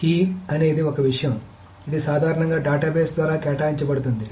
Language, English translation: Telugu, But the key is a single thing which is generally assigned by the database itself